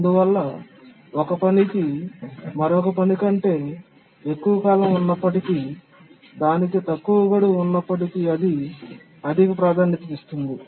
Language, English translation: Telugu, So even if a task has higher period than another task but it has a lower deadline then that gets higher priority